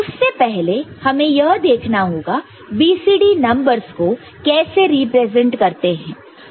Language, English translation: Hindi, So, before that again we look at how BCD numbers are represented